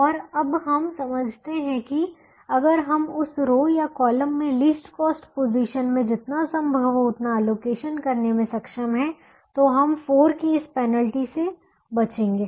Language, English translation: Hindi, and now we understand that if we are able to allocate as much as we can in the least cost position in that row or column, then we will avoid this penalty of four as much as we can